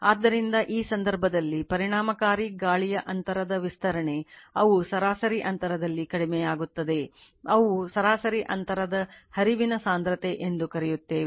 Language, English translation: Kannada, So, in that case, your what you call your that is your enlargement of the effective air gap area, and they decrease in the average gap your what you call average gap flux density